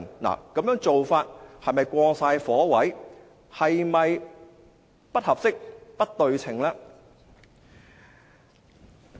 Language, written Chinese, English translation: Cantonese, 此要求是否過火、不合適、不對稱呢？, He asks whether it is an inappropriate and unbalanced request